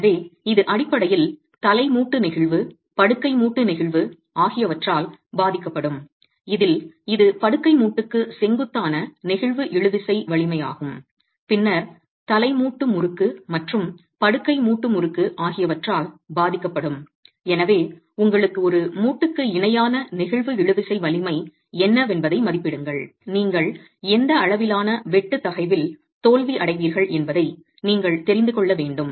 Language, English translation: Tamil, So, this is basically affected by head joint flexure, bed joint flexia, in which case it is the flexural tensile strength normal to the bed joint and then will also be affected by head joint torsion and bed joint torsion and therefore you will need an estimate of what the flexual tensile strength parallel to the joint is if you need to know at what level of shear stress will you get failure in the joint itself